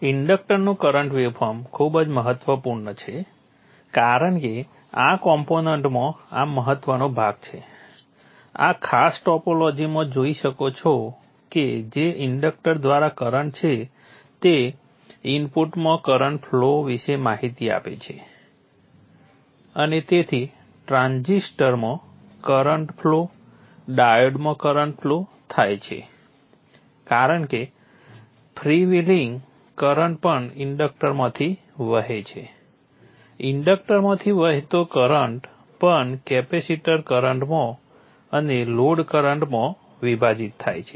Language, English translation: Gujarati, The current waveform of the inductor is very critical because this is an important part in this component in this particular topology see that this current through the inductor gives information about the current flowing in the input and therefore the current flow in the transistor the current flowing in the diode because the free vely current also flows through the inductor the current flow into the inductor also divides into the capacitor current through the load as we have discussed earlier the current through the capacitor will have a zero average value in steady state and the current through the output load will be a pure DC